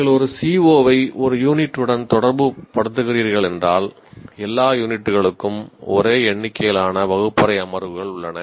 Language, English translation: Tamil, Because if you are associating one CO with one unit, then you have the same number of classroom sessions for all the units